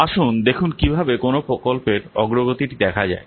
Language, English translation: Bengali, Let's see how to visualize the work progress of a project